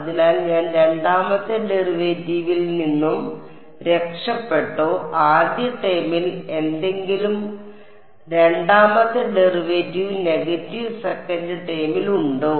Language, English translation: Malayalam, So, have I escaped the second derivative, is there any first second derivative in the first term negative second term is there